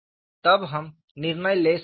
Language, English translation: Hindi, Then we can make a judgment